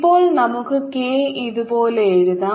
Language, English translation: Malayalam, let's call this direction k